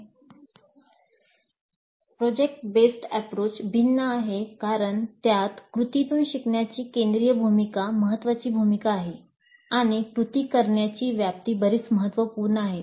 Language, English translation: Marathi, The project based approach is different in that it accords a very central role, a key role to learning by doing and the scope of doing is quite substantial